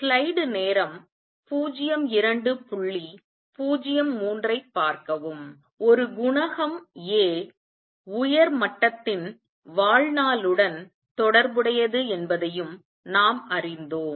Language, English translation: Tamil, We also learnt that A coefficient is related to the lifetime of the upper level